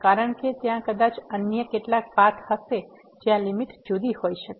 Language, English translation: Gujarati, Because there may be some other path where the limit may be different